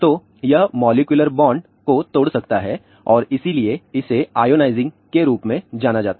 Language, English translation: Hindi, So, it can break the molecular bond and hence, it is known as ionizing